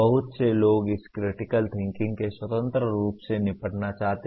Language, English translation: Hindi, Many people want to deal with this critical thinking independently